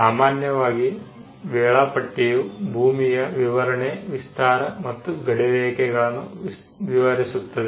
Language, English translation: Kannada, The schedule normally has the description of the land the extent of it and the boundaries of it